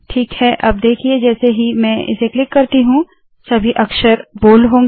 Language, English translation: Hindi, Alright now, watch this as I click this all the letters will become bold